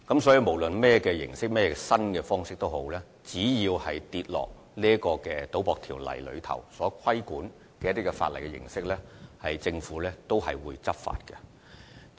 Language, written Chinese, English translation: Cantonese, 所以，無論以甚麼形式或方式進行的活動，只要在《賭博條例》的規管範圍內，政府都會採取執法行動。, Therefore the Government will take enforcement actions against any form of activities that fall within the scope of regulation of the Gambling Ordinance